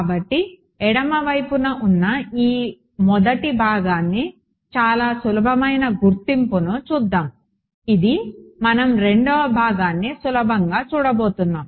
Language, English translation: Telugu, So, let us let us look at a very simple identity this first part of the left hand side ok, this is what we are going to look at the second part is easy